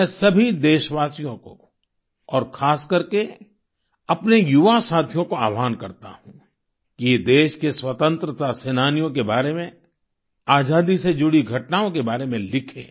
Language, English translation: Hindi, I appeal to all countrymen, especially the young friends to write about freedom fighters, incidents associated with freedom